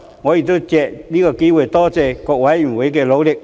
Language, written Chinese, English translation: Cantonese, 我亦藉此機會多謝各委員的努力。, I also take this opportunity to thank Panel members for their efforts